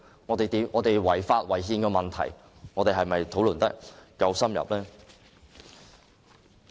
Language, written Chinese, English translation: Cantonese, 有關違法及違憲問題的討論是否夠深入？, Did we have in - depth discussions on the unconstitutionality and unlawfulness of the Bill?